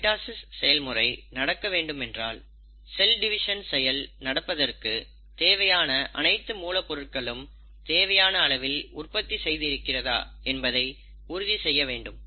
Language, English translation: Tamil, And for mitosis to happen, it has to make sure that the sufficient raw materials which are required to carry out the process of cell division are getting synthesized